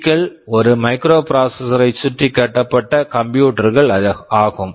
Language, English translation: Tamil, Microcomputer is a computer which is built around a microprocessor